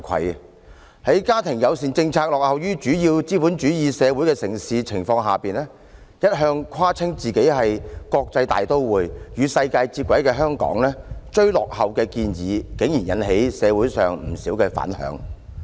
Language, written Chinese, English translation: Cantonese, 面對其家庭友善政策落後於主要資本主義城市的情況，一向自誇為國際大都會、與世界接軌的香港，其"追落後"的建議竟然引起社會上不少反響。, Hong Kong boasts itself as an international metropolis which is able to keep abreast with the world . But given its backward family - friendly policies which lag behind those of major capitalistic cities a modest proposal to catch up with the lowest global standard has surprisingly triggered rounds of feedback from society